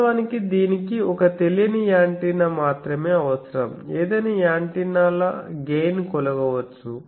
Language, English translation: Telugu, Actually this requires only one unknown antenna any antennas gain can be measured; only you require a known gain antenna